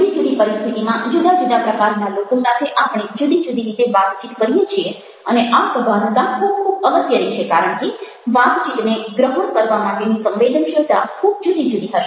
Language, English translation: Gujarati, we converse in different ways and this awareness is very, very important because the sensitivity to understanding the that conversation would be very different